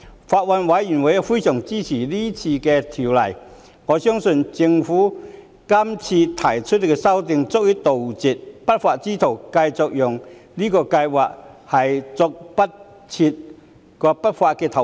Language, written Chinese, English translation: Cantonese, 法案委員會非常支持有關修訂，我相信政府提出的修訂，足以杜絕不法之徒繼續利用這項計劃作出不法投資。, The Bills Committee very much supports the relevant amendments . I believe the Governments amendments are sufficient to stop lawbreakers from exploiting this scheme to make unlawful investments